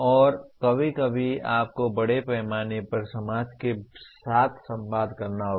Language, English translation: Hindi, And also sometime you have to communicate with society at large